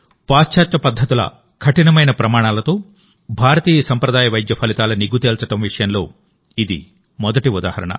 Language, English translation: Telugu, This is the first example of Indian traditional medicine being tested vis a vis the stringent standards of Western methods